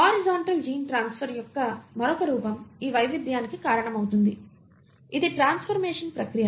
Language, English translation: Telugu, The other form of horizontal gene transfer, which accounts for this variation, is the process of transformation